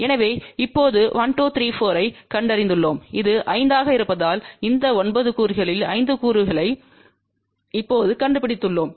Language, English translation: Tamil, So, we have now found 1 2 3 4 and this is 5 so out of this 9 component we have now found 5 components